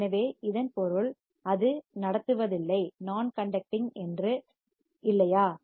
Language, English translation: Tamil, So that means, that it is not conducting, right